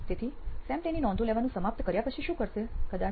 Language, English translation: Gujarati, So what would be Sam doing after he completes taking down his notes, probably